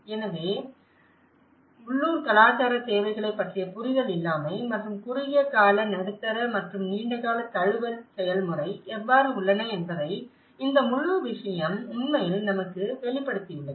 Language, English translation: Tamil, So, this whole thing has actually reveals us that the lack of understanding of the local cultural needs and how the short term, medium term and the long run adaptation process